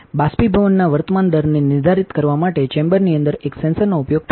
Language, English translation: Gujarati, A sensor within the chamber is used to determine the current rate of evaporation